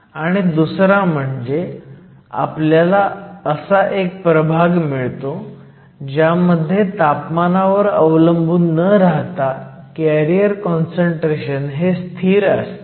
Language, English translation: Marathi, With secondly, we also have a regime where the carrier concentration is almost a constant and it is independent of temperature